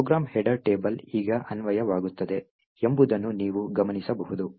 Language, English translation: Kannada, Further you will note that the program header table is now applicable now